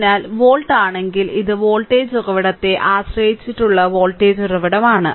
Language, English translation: Malayalam, So, if volt if your sorry if your this thing this is the voltage source dependent voltage source right